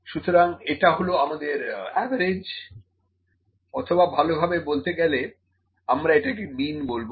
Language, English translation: Bengali, So, this is my average or better we call it mean